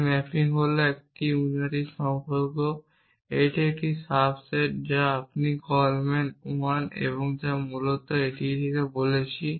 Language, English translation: Bengali, The mapping of this is a unary relation this is a subset you see call man I and essentially we are saying this